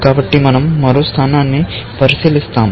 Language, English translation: Telugu, So, we look at one more level